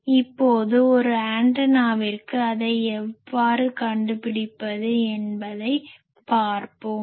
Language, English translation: Tamil, So, now let us see that for an antenna how to find it